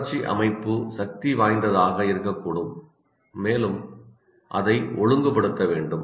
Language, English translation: Tamil, Because emotional system can be very strong, so it has to regulate that